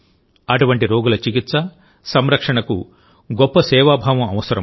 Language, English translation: Telugu, The treatment and care of such patients require great sense of service